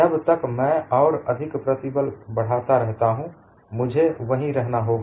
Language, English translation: Hindi, Until I increase the stress further, it would remain there